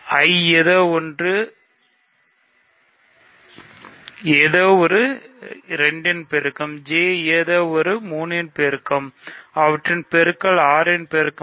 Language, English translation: Tamil, Something in I is a multiple of 2, something in J is a multiple of 3, so their product is a multiple of 6